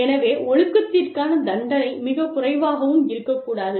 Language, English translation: Tamil, So, the punishment, the discipline, should not be too less